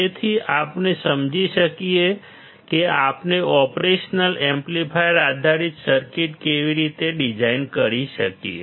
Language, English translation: Gujarati, So, we understand how we can design operation amplifier based circuits